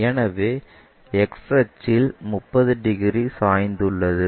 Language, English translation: Tamil, So, 30 degrees inclined to XY axis we have